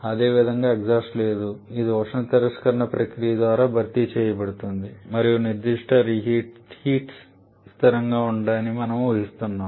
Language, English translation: Telugu, Similarly there is no exhaust it is being replaced by heat rejection process and we are assuming the specific heats to be constant